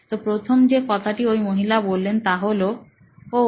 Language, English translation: Bengali, ’ So, the first thing that the lady said was, ‘Oh